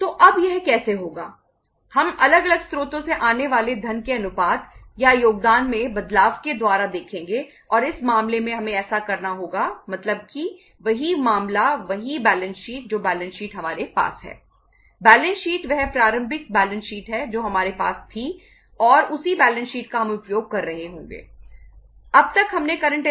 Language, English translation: Hindi, So now how it will it will happen we will see by changing the proportion of or the contribution of the funds coming from the different sources and in this case we will have to uh do means do the same case means same balance sheet, the balance sheet which we had